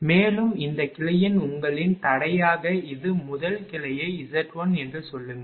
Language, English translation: Tamil, And it is a your impedance of this branch very first branch say it is Z 1